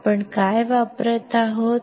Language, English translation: Marathi, What we are using